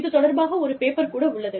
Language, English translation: Tamil, There is actually a paper on it